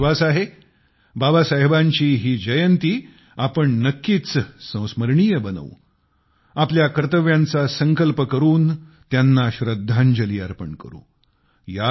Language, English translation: Marathi, I am sure that we will make this birth anniversary of Babasaheb a memorable one by taking a resolve of our duties and thus paying tribute to him